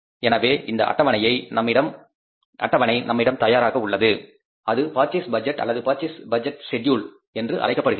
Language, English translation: Tamil, So, this schedule is ready with us which is called as the purchase budget or purchase budget schedule